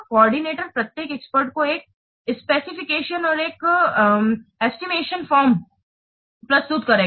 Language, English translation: Hindi, The coordinator presents each expert with a specification and an estimation form